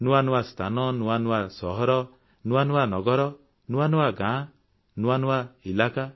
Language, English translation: Odia, New places, new cities, new towns, new villages, new areas